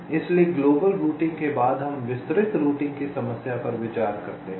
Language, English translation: Hindi, so, after global routing, we consider the problem of detailed routing